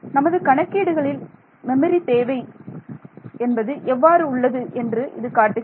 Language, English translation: Tamil, So, what does that tell you in terms of the memory requirements of my computation